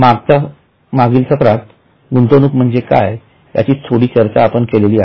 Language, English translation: Marathi, In our last to last session we had discussed a bit about what is an investment